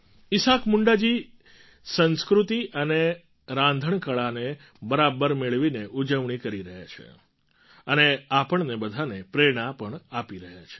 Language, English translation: Gujarati, Isaak Munda ji is celebrating by blending culture and cuisine equally and inspiring us too